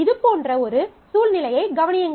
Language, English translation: Tamil, Consider a situation like this